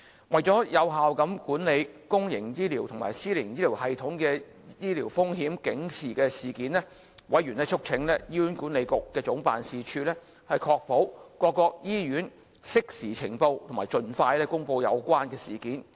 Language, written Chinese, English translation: Cantonese, 為了有效管理公營及私營醫療系統的醫療風險警示事件，委員促請醫院管理局總辦事處，確保各醫院適時呈報及盡快公布有關事件。, In order to manage sentinel events in public and private hospitals effectively members urged Hospital Authority HA Head Office to ensure all hospitals to report and announce relevant incidents in a timely manner